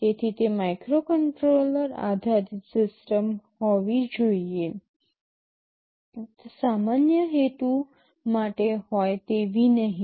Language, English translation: Gujarati, So, it should be a microcontroller based system and not general purpose